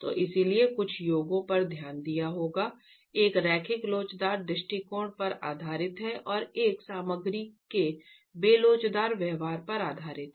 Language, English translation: Hindi, So that is, so we've looked at couple of formulations, one based on a linear elastic approach and one which basis, base, bases itself on the inelastic behavior of the material